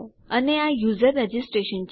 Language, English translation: Gujarati, And that is user registration